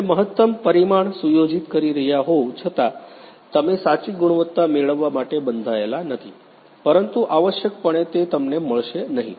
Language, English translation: Gujarati, Even though you are setting the optimum parameter, you know that you are not you are bound to get the true quality, but essentially you know you won’t get it